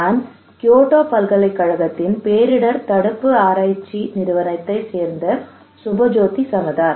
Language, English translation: Tamil, I am Subhajyoti Samaddar from Disaster Prevention Research Institute, Kyoto University